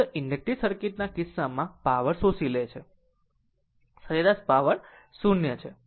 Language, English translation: Gujarati, In the in the case of a purely inductive circuit, power absorb is 0 average power absorb is 0